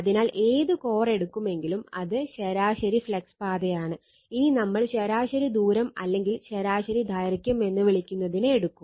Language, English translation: Malayalam, So, and this is you call mean flux path whatever core will take, we will take the your what you call the mean radius or mean length